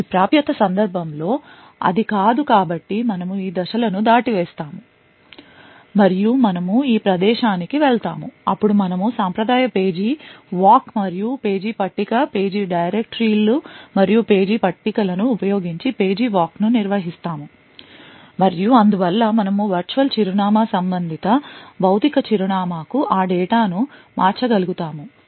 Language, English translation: Telugu, In this particular case it is no so we skip this steps and we go to this place then we perform a traditional page walk and page table, page walk using the page directories and page tables and therefore we will be able to convert the virtual address of that data to the corresponding physical address